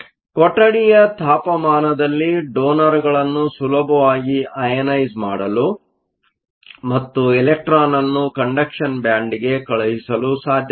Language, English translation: Kannada, So, at room temperature it is possible to easily ionize the donors and take the electron to the conduction band